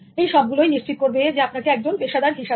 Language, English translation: Bengali, So, this will all ensure that you are becoming a professional